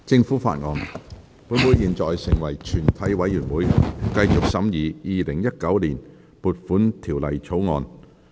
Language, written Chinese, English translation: Cantonese, 本會現在成為全體委員會，繼續審議《2019年撥款條例草案》。, Council now becomes committee of the whole Council to continue the consideration of the Appropriation Bill 2019